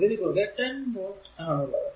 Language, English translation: Malayalam, So, across this 10 volt this is also 10 volt